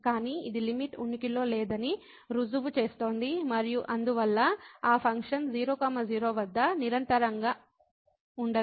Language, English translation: Telugu, But this proves that the limit does not exist and hence that function is not continuous at